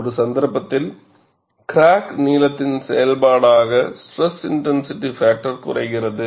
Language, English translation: Tamil, In one case, stress intensity factor decreases as the function of crack length